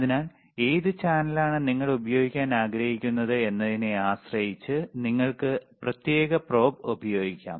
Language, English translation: Malayalam, So, depending on what channel, you want to use, you can use the particular probe